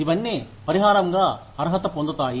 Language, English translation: Telugu, All of that, qualifies as compensation